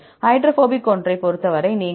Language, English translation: Tamil, For the hydrophobic one, so, you put 1